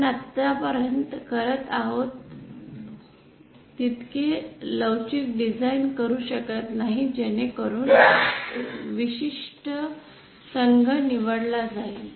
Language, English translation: Marathi, We cannot do as much flexible design as we have been doing so far that is choosing any particular team